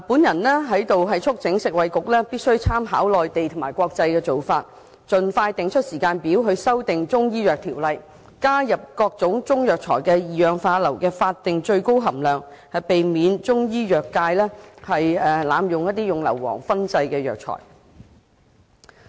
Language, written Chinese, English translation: Cantonese, 我在此促請食物及衞生局參考內地及國際做法，盡快設定修訂《中醫藥條例》的時間表，加入各種中藥材的二氧化硫的法定最高含量，避免中醫藥界濫用硫磺燻製藥材。, Here I urge the Food and Health Bureau to draw reference from the Mainland and international practices and expeditiously set a timetable for amending the Chinese Medicines Ordinance CMO to include a statutory ceiling for sulphur dioxide content in various types of Chinese herbal medicines to prevent abuse of sulphur for fumigation of herbal medicines in the Chinese medicine industry